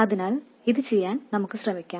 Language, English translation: Malayalam, So let's do that